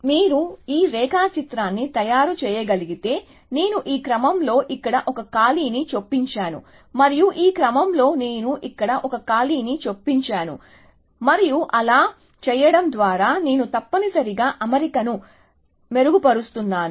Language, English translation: Telugu, So, if you can make out this diagram, I am inserting a gap here, in this sequence and I am inserting a gap here in this sequence and by doing so, I am improving the alignment essentially